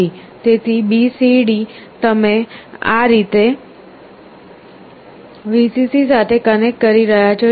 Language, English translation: Gujarati, So, BCD you are connecting to Vcc like this